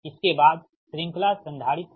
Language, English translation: Hindi, next is that series capacitor